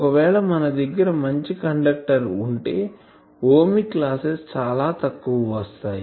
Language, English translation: Telugu, If you have a good conductor , Ohmic loss is very very small